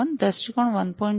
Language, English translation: Gujarati, 1, viewpoint 1